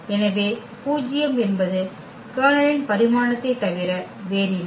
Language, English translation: Tamil, So, the nullity is nothing but the dimension of the kernel